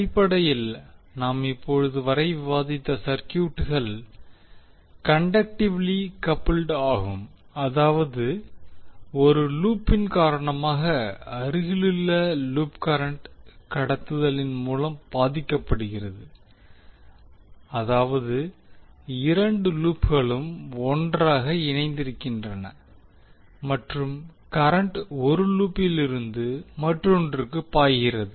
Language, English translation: Tamil, So basically the circuits which we have discussed till now were conductively coupled that means that because of one loop the neighbourhood loop was getting affected through current conduction that means that both of the lops were joint together and current was flowing from one loop to other